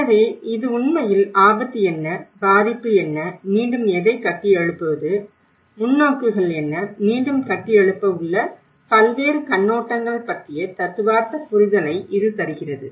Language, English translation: Tamil, So, it actually gives the theoretical understanding of what is a risk, what is a hazard you know and what is vulnerability and what is actually a build back better, what is the perspectives, different perspectives of build back better